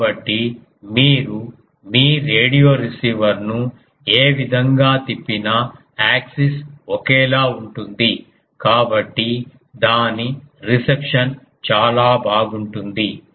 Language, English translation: Telugu, So, whatever way you turn your radio receiver the axis is same; so, its reception is quite good